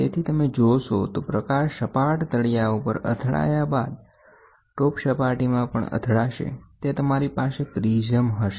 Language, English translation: Gujarati, So, if you see the light hits on a flat base plate which is flat and then on top of it, you have a prism